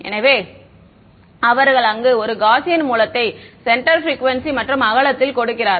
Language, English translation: Tamil, So, they give a Gaussian source where they specify the centre frequency and the width